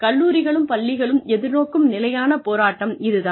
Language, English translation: Tamil, This is the constant struggle, that colleges and schools face